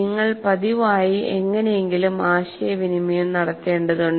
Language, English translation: Malayalam, You have to constantly somehow communicate